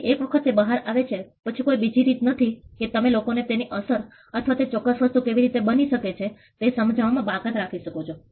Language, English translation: Gujarati, So, once it is out there is no way you can exclude people from taking effect of it or in understanding how that particular thing was done